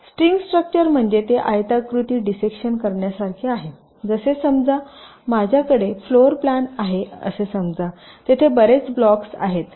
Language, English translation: Marathi, slicing structure means it is like a rectangular dissection, like, let say, suppose i have a floor plan, say there are many blocks